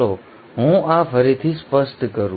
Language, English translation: Gujarati, Let me make this clear again